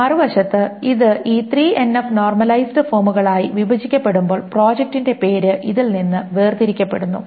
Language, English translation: Malayalam, On the other hand, when it is broken down into this 3 and of normalized forms, the project name is isolated from this